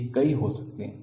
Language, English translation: Hindi, They can be many